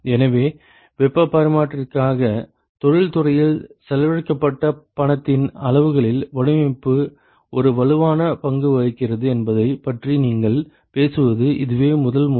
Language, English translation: Tamil, So, this is the first time we talk about where the design plays a strong role in the amount of money that is spent in in the industry for heat exchanger